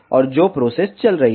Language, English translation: Hindi, And what is the process that is going on